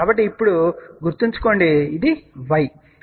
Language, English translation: Telugu, So, remember now, this is y